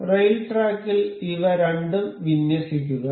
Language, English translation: Malayalam, Align these two in the rail track